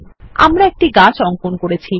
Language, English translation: Bengali, We have drawn a tree